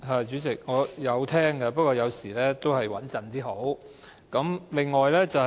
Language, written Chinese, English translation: Cantonese, 主席，我有聽的，不過有時候再穩妥點較好。, Chairman I did listen but sometimes it is better to be more careful